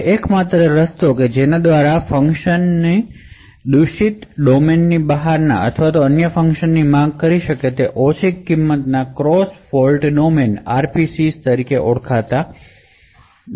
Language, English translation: Gujarati, Now the only way by which a function can invoke another function outside the fault domain is through something known as a low cost cross fault domain RPCs